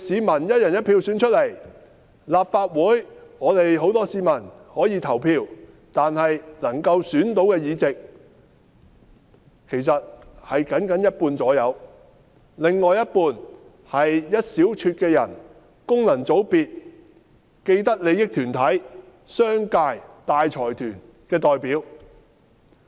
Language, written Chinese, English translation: Cantonese, 至於立法會議員，很多市民可以投票選出，但他們能選的議席僅僅有一半而已，另一半是一小撮的人，功能界別、既得利益團體、商界、大財團的代表。, As for Legislative Council Members people are able to cast their votes to elect them . However only half of the seats are returned by them and the other half are reserved for a handful of people who are representatives of functional constituencies vested interest groups the commercial sector and large consortia